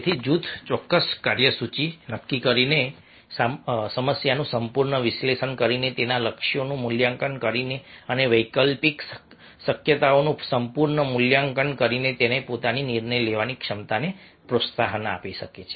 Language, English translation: Gujarati, so a group can promote its own decision making capacities by setting a definite agenda, doing a thorough problem analysis, assessing its goals and thoroughly assessing alternative possibilities